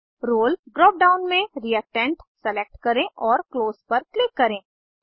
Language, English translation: Hindi, In the Role drop down, select Reactant and click on Close